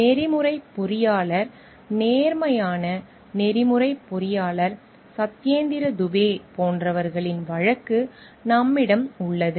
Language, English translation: Tamil, We have the case of like the ethical engineer, honest ethical engineer Satyendra Dubey